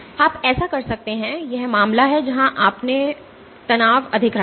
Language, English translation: Hindi, You can do so, this is the case where you had kept your strain high